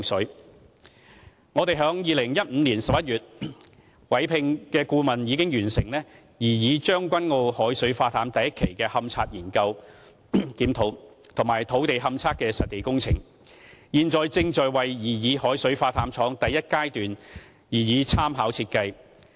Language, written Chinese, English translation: Cantonese, 就擬議將軍澳海水化淡廠的第一階段，我們於2015年11月委聘的顧問已完成勘查研究檢討和土地勘測的實地工程，現正在為擬議海水化淡廠第一階段擬備參考設計。, Regarding the first stage of the proposed seawater desalination plant in Tseung Kwan O the consultant engaged by us in November 2015 has already finished an investigation study review as well as on - site ground investigation . We are preparing a design for consultation for the first stage of the proposed seawater desalination plant